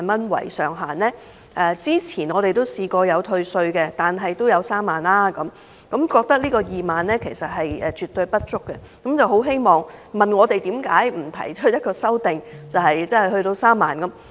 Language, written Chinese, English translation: Cantonese, 他們說政府以前都曾退稅，上限也有3萬元，現時2萬元絕對不足，問我們為何不提出修正案，將上限增至3萬元。, As the Government had once provided a tax reduction capped at 30,000 they considered the current ceiling of 20,000 far too low . They also asked why we did not propose an amendment to raise the ceiling to 30,000